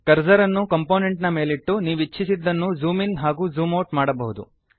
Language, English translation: Kannada, Keep Cursor on Component which you want to zoom in and zoom out